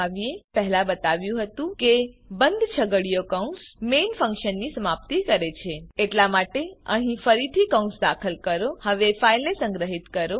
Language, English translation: Gujarati, As i said before the closing curly bracket marks the end of the function main Hence re insert the bracket here